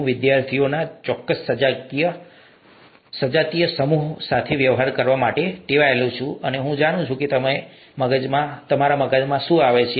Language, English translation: Gujarati, I’m used to dealing with a certain homogenous set of students, I know what comes to their mind